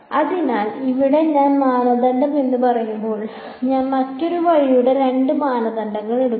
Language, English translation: Malayalam, So, these when I say norm, I am taking the two norm of other way